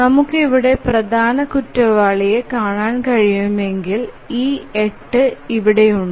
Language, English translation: Malayalam, If you can see the major culprit here is this 8 here